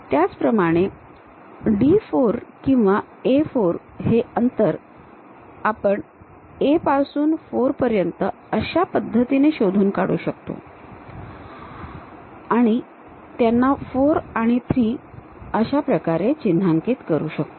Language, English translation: Marathi, Similarly, D 4 or A 4 distance locate it from A to 4 mark that point as 4 and 3